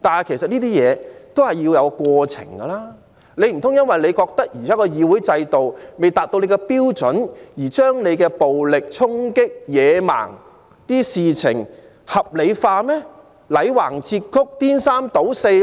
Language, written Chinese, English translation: Cantonese, 其實這些事要有一個過程，難道他們認為現時的議會制度未達其標準便可將其暴力衝擊等野蠻行為合理化、歪曲事實、顛三倒四嗎？, All this actually needs to go through a process . Do they think that they can rationalize their barbaric acts of violent charging distort the facts and call black white just because the existing parliamentary system does not measure up to their standards?